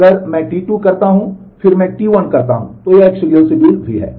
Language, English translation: Hindi, If I do T 2 and then I do T 1 it is a serial schedule as well